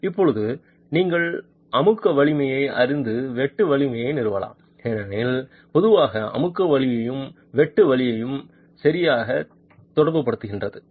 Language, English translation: Tamil, Now you can establish the shear strength knowing the compressive strength because typically compressive strength and shear strength are correlated